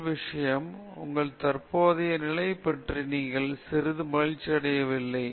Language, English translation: Tamil, The first thing is you should be somewhat unhappy about your current state